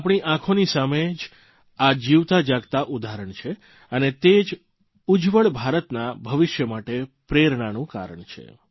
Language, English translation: Gujarati, These are but living examples before your eyes… these very examples are a source of inspiration for the future of a rising & glowing India